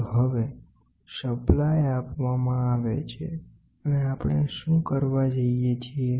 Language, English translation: Gujarati, It is now supply provided and here what are we trying to do